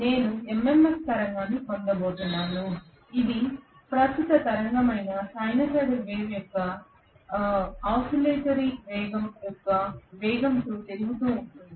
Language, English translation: Telugu, I see that I am going to get an MMF wave which will keep on rotating at the same speed as that of the oscillatory speed of the sinusoidal wave which is the current wave